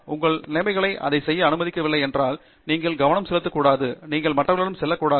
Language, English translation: Tamil, If your conditions are not allowing you to do it, maybe you should not focus on that, you should move to other